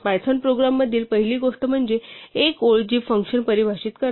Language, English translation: Marathi, The first thing in the python program is a line which defines the function